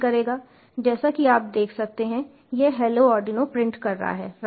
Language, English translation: Hindi, as you can see, it is printing hello arduino, right, so it is actually quite fast